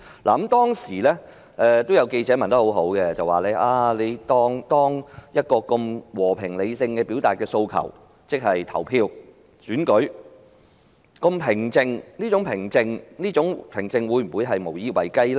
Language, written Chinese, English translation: Cantonese, 那個記者會上有記者問得很好：出現了和平理性地表達訴求的方式——即是投票和選舉——而且過程相當平靜，但這種平靜會否無以為繼呢？, In the press conference a reporter asked a very good question There has appeared a peaceful and rational way of putting forward the demands―that was voting and election―the process of which was fairly calm but will such calm be unsustainable?